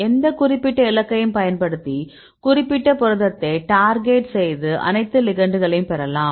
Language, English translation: Tamil, So, you can use any specific target, you can get all the ligands this for targeting a specific protein